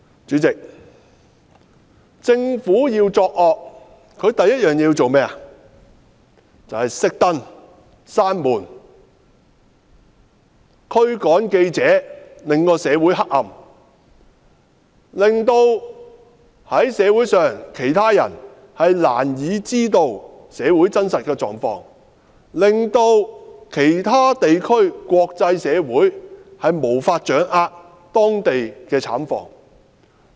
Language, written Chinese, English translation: Cantonese, 主席，政府要作惡，第一件事便是"熄燈"、關門，驅趕記者，讓社會變得黑暗，讓社會上其他人難以知道社會真實狀況，讓其他地區或國際社會無法掌握當地的慘況。, President if the Government wants to do evil things the first thing to do is to turn off the lights shut the door and expel the journalists . In that case the community would be left in the dark such that other people in the community do not know exactly what is going on . Nor can other regions or the international community get a good grasp of the local dire situation